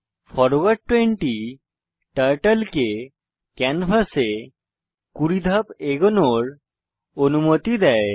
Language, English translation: Bengali, forward 20 commands Turtle to move 20 steps forward on the canvas